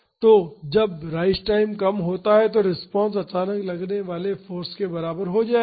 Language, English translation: Hindi, So, when the rise time is less the response will be equal to the suddenly applied force